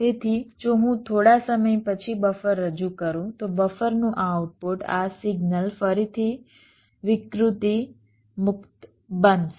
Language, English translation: Gujarati, so if i introduce a buffer after some time, so the output of the buffer, this signal, will again become distortion free